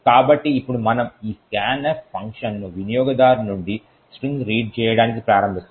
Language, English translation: Telugu, So, then now we invoke this scanf function which reads a string from the user